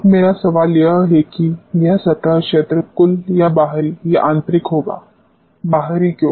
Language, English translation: Hindi, Now my question is this surface area will be total or external or internal; why external